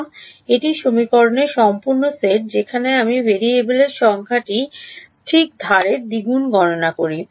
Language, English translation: Bengali, No, this is the full set of equations where the number of variables I am doing a double counting on the edge ok